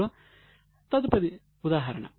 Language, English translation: Telugu, What are the examples